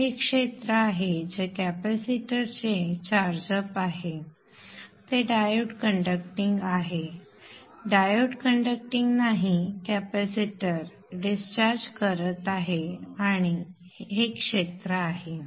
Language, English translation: Marathi, So this is the area that is a charge charge up of the capacitor when it is conducting when the diodes are conducting the diodes are not conducting capacitors is discharging and the area is this